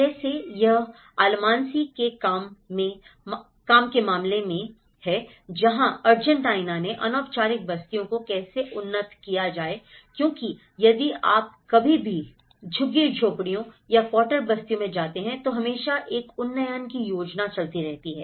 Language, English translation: Hindi, Like, this is in case of Almansi’s work where the Argentina aspect how to upgrade the informal settlements because if you ever go to slums or quarter settlements always an up gradation plans keep ongoing